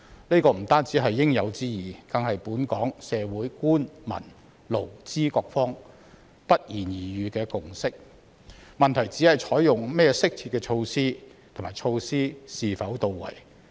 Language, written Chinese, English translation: Cantonese, 這不單是應有之義，更是本港社會官、民、勞、資各方不言而喻的共識，問題是採用甚麼適切的措施和措施是否到位。, This is not only their integral responsibilities but also the consensus which goes without saying among the Government the public employees and employers in the local community . The question is what appropriate measures should be adopted and whether the measures are properly implemented